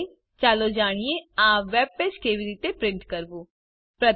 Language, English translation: Gujarati, Finally, lets learn how to print this web page